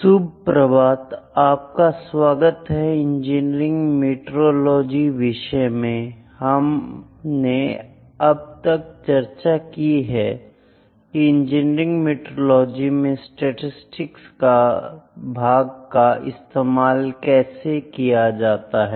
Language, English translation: Hindi, Welcome back to the course on Engineering Metrology and we have discussed the statistical part that is used in engineering metrology